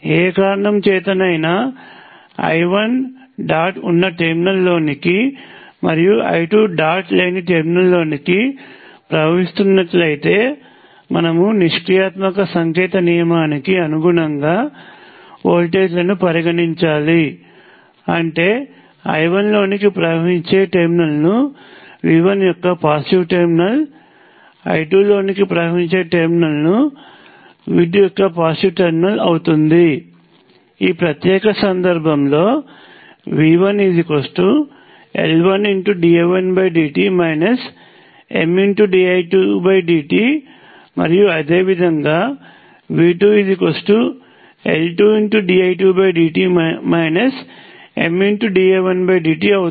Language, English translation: Telugu, If for whatever reason you choose to consider I 1 flowing into the dot I 2 flowing into the terminal without the dot then of course, you have to choose voltages consistent with passive sign convention; that means that the positive terminal of V 1 is wherever I 1 is flowing into and the positive terminal of V 2 is wherever I 2 is flowing into, in this particular case, V 1 will be L 1 dI 1 by dt minus M dI 2 by dt; and similarly V 2 will be minus M the time derivative of I 1 plus L 2 time derivative of I 2